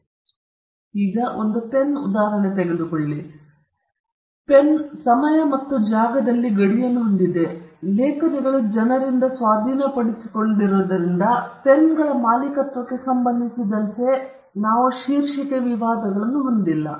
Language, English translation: Kannada, Take a pen, for instance; the pen has a boundary in time and space, and the fact that pens are possessed by people, we don’t have title disputes with regard to ownership of pens